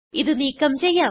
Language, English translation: Malayalam, Let us delete this